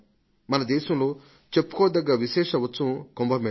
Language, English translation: Telugu, There is one great speciality of our country the Kumbh Mela